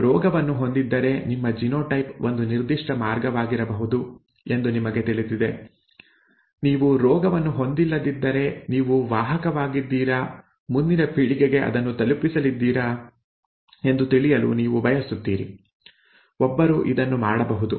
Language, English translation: Kannada, If you have the disease you know that your genotype could be a certain way, if you do not have the disease you would like to know whether you are a carrier, whether you are going to pass it on to the next generation, one can do that